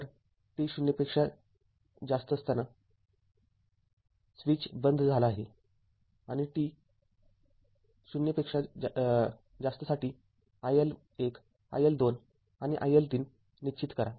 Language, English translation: Marathi, So, the switch is opened at t greater than 0 and determine iL1 iL2 and iL3 for t greater than 0